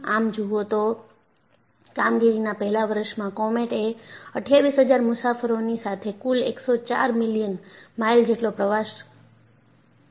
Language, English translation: Gujarati, And if you look at, in the first year of its operation, comet carried 28000 passengers with a total of 104 million miles